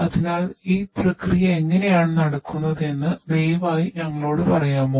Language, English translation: Malayalam, So, could you please tell us that how this process is conducted you know what exactly happens over here